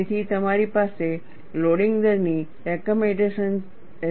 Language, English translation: Gujarati, So, you have loading rate recommendations